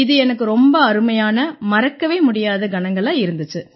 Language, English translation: Tamil, So it was perfect and most memorable moment for me